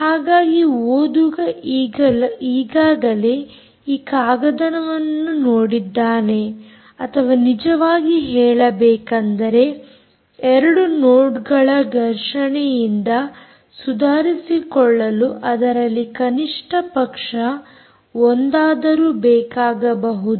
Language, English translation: Kannada, so the reader seen this paper, or actually talking about how to recover from um two nodes colliding, may require at least one from that